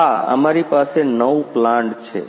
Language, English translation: Gujarati, Yeah we have nine plants